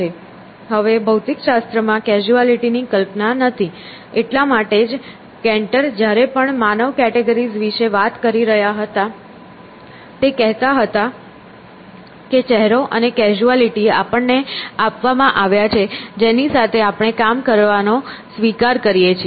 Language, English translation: Gujarati, Now physics, of course, does not have a notion of causality; that is why Canter’s even when he was talking about human categories, he was saying that is face and causality are given to us that we accept we have to start working with those things